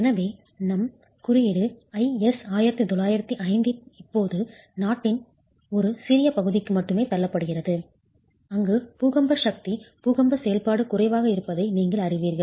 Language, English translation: Tamil, So, our code IS 1905 is now getting pushed to only a small part of the country, part of the country where you know that the earthquake force earthquake activity is low